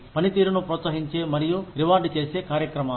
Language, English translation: Telugu, Programs, that encourage, and reward performance